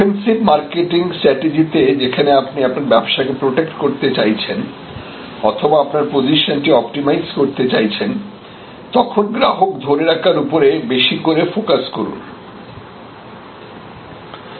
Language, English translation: Bengali, In the defensive marketing stage; obviously, where you are trying to protect or optimize your position again it is absolutely important to have a keen focus on retention